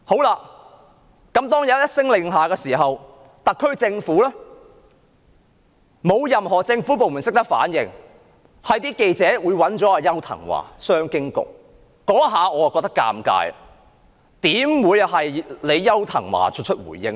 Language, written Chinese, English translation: Cantonese, 外交部一聲令下，特區政府沒有任何部門懂得反應，只是記者找商務及經濟發展局局長邱騰華回應。, Once the Ministry of Foreign Affairs issued an order not a single department of the SAR Government has given any response and reporters could only ask Secretary for Commerce and Economic Development Edward YAU for a reply